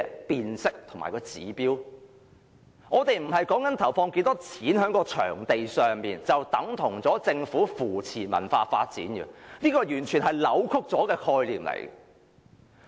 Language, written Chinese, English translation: Cantonese, 我所說的並非是政府投放了多少金錢在場地上，便等同是扶持文化發展，這完全是扭曲的概念。, In my view government support to the cultural development cannot be judged by the amount of money invested by the Government on the venues . This concept is totally distorted